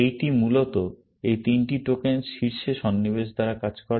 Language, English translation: Bengali, This basically, works by inserting at the top, these three tokens